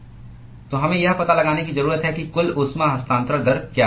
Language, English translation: Hindi, So, we need to find out what is the total heat transfer rate